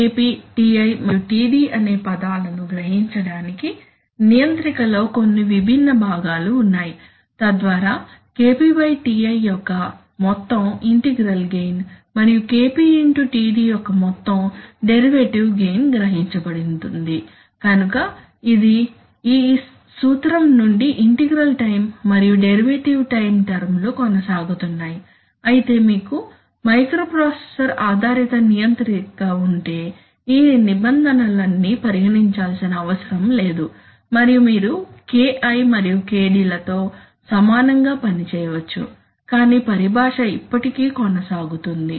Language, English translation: Telugu, So there are certain distinct parts of the controller which use to realize these terms KP , Ti and Td, so that an average, so that an overall integral gain of KP by TI and an overall derivative gain of KP into TD is realized, so it is for from that principle that the integral time and the derivative time terms are continuing but if you have a microprocessor based controller then all these terms need not be considered and you could equivalently work with, you know, KI and KD but still let since I mean see, since the terminology still continues